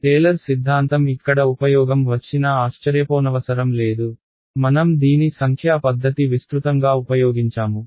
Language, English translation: Telugu, Not surprisingly the Taylor’s theorem comes of use over here, we have used this extensively in numerical techniques and what not right